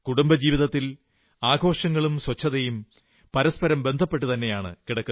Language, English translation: Malayalam, In individual households, festivals and cleanliness are linked together